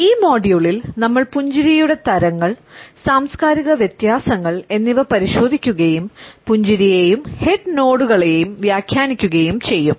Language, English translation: Malayalam, In this module we would look at the types of a smiles, the cultural differences in which we pass on and interpret a smiles as well as the head nods